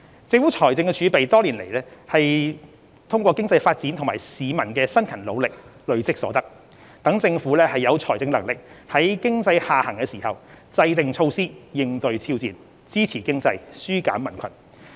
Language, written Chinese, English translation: Cantonese, 政府財政儲備是多年來通過經濟發展及市民辛勤努力累積所得，讓政府有財政能力在經濟下行時制訂措施以應對挑戰，支持經濟，紓減民困。, The fiscal reserves of the Government are the fruits of the economic development of Hong Kong and the hard work of our people over the years . This makes the Government financially capable of meeting challenges by adopting measures to support the economy and relieve peoples burden amid the prevailing economic downturn